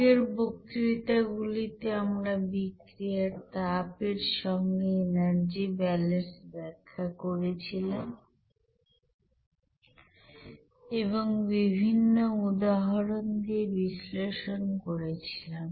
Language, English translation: Bengali, In the previous lectures we have described the energy balance with heat of reaction and analysis with different examples